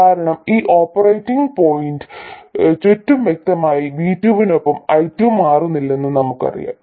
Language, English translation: Malayalam, Because clearly around this operating point we know that I2 is not changing with V2